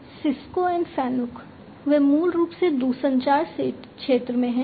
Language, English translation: Hindi, Cisco and Fanuc, they are basically in the you know they are in the telecommunication sector